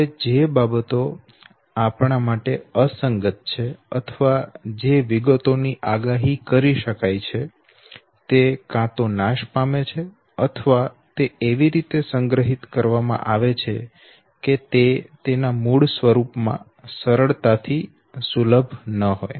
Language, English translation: Gujarati, Now things which are irrelevant to us or details which are predictable they are either destroyed or they are stored in such a way that it is not readily accessible in its original form